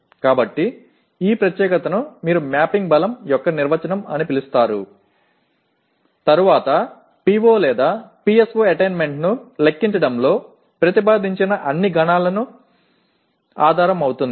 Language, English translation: Telugu, So this particular what do you call definition of mapping strength becomes the basis for all computations subsequently proposed in computing the PO/PSO attainment